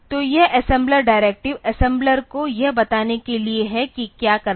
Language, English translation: Hindi, So, this assembler directives are to for telling assembler what to do